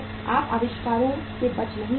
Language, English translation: Hindi, You cannot avoid inventories